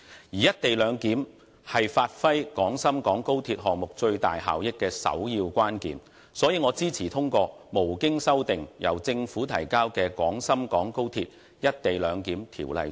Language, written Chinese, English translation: Cantonese, "一地兩檢"是發揮廣深港高鐵項目最大效益的首要關鍵，所以我支持通過無經修訂、由政府提交的《廣深港高鐵條例草案》。, As the co - location arrangement is critical to fully unleashing the benefits of the Guangzhou - Shenzhen - Hong Kong XRL project I support the passage of the Guangzhou - Shenzhen - Hong Kong Express Rail Link Co - location Bill the Bill introduced by the Government without amendments